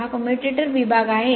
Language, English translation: Marathi, So, this is commutator component